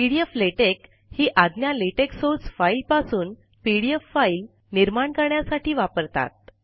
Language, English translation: Marathi, The command pdf latex is used to create a pdf file from the latex source file